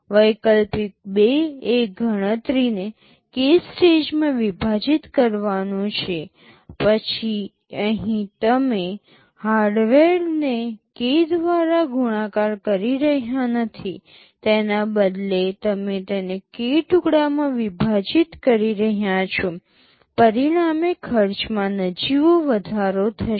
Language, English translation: Gujarati, Alternative 2 is to split the computation into k stages; here you are not multiplying the hardware by k, rather the you are splitting it into k pieces resulting in very nominal increase in cost